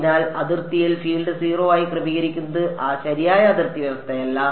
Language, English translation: Malayalam, So, setting the field to be 0 on the boundary is not the correct boundary condition